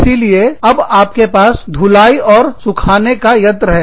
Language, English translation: Hindi, So, you had a washing machine, and a dryer